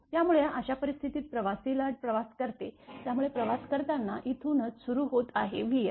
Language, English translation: Marathi, So, in this case what happened that traveling wave travels, so it is starting from here right when is traveling it is v f